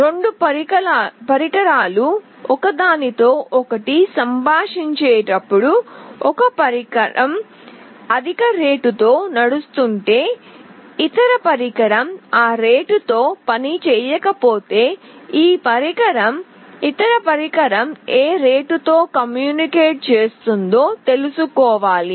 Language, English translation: Telugu, When 2 devices communicate with each other, if one device runs at a higher rate other device does not runs at that rate, this device must know at what rate the other device is communicating